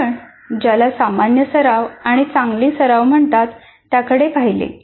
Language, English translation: Marathi, So we looked at two what we called as common practice and good practice